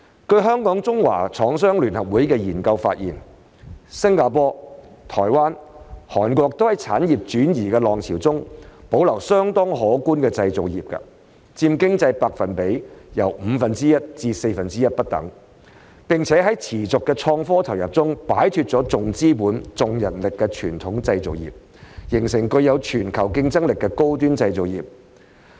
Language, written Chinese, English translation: Cantonese, 據香港中華廠商聯合會的研究發現，新加坡、台灣、韓國都在產業轉移的浪潮中保留相當可觀的製造業，佔經濟比重由五分之一至四分之一不等，並且在持續的科創投入中擺脫重資本重人力的傳統製造業，形成具有全球競爭力的高端製造業。, According to a study conducted by the Chinese Manufacturers Association of Hong Kong Singapore Taiwan and South Korea have all in the wave of industrial relocation retained a considerable manufacturing industry accounting for anywhere from one - fifth to one - quarter of the economy and have been able to break away from the traditional capital - and labour - intensive manufacturing industry with continuous investment in innovation and technology to form a globally competitive high - end manufacturing industry